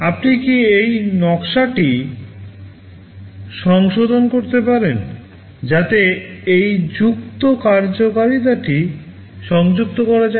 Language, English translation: Bengali, Can you modify this design so that this added functionality can be incorporated